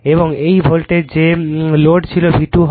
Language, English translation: Bengali, And this is the voltage that was the load is V 2